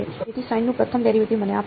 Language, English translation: Gujarati, So, first derivative of sine will give me